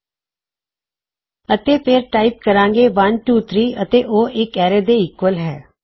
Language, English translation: Punjabi, And then we type 123 and that is equal to an array